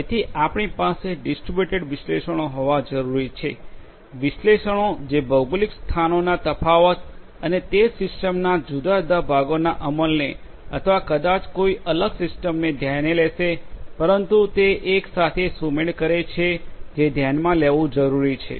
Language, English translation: Gujarati, So, you need to have distributed analytics; analytics which will take into account the differences in the geo locations and their corresponding executions of the different parts of the same system or maybe of a different system, but are synchronized together that has to be taken into consideration